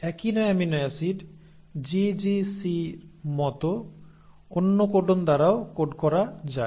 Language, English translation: Bengali, Now the same amino acid can also be coded by another codon, like GGC